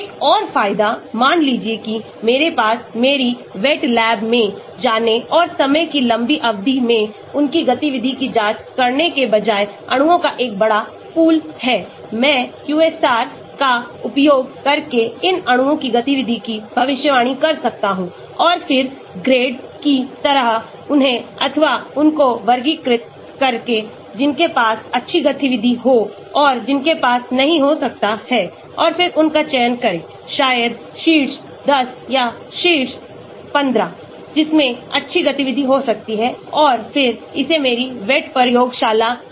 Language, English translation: Hindi, Another advantage , suppose I have a large pool of molecules instead of spending a lot of time going to my wet lab and checking their activity over a long period of time, I can predict the activity of these molecules using the QSAR and then sort of grade them or categorize them as those which will have good activity and those which might not have and then select those, maybe top 10 or top 15, which may have good activity and then take it to my wet lab